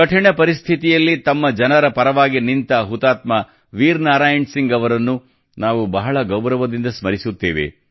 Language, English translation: Kannada, We remember Shaheed Veer Narayan Singh with full reverence, who stood by his people in difficult circumstances